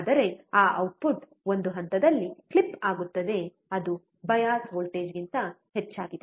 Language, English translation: Kannada, But that output will clip at one point which is more than the bias voltage